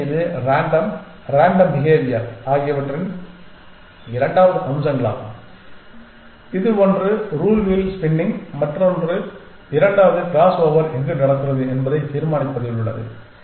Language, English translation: Tamil, So, that is the second aspects of random random behavior that is happening here one is in the rule wheel spinning and the second is in deciding where the crossover happens